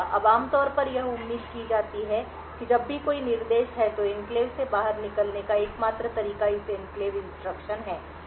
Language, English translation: Hindi, Now typically what is expected is that whenever there is EENTER instruction the only way to exit from the enclave is by this Enclave instruction